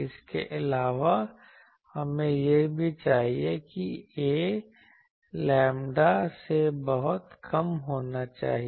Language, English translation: Hindi, Actually and also we required that a should be much less than lambda